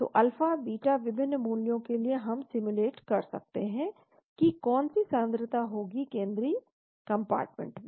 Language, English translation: Hindi, So for different values of alpha, beta we can simulate what to be the concentration in the central compartment